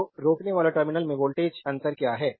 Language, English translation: Hindi, So, what is the voltage difference across the resistor terminal